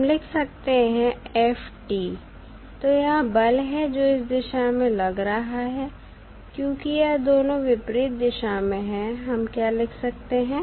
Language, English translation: Hindi, We can write f t, so that is the force which is applying in this direction since these two are in the opposite direction